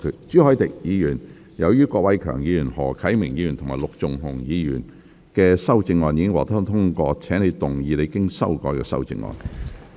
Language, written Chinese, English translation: Cantonese, 朱凱廸議員，由於郭偉强議員、何啟明議員及陸頌雄議員的修正案已獲得通過，請動議你經修改的修正案。, Mr CHU Hoi - dick as the amendments of Mr KWOK Wai - keung Mr HO Kai - ming and Mr LUK Chung - hung have been passed you may move your revised amendment